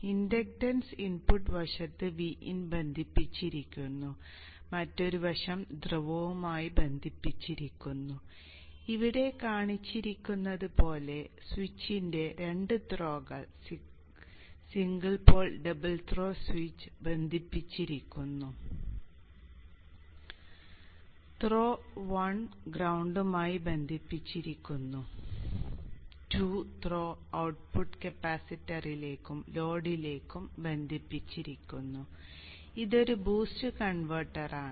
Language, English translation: Malayalam, The inductance is on the input side connected to V In, other side is connected to the pole, the two throws of the switch, single pole double throw switch are connected as shown here, throw 1 is connected to the ground, throw 2 is connected to the output capacitor and the low